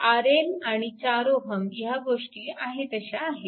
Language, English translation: Marathi, R L and 4 ohm this things are as it is right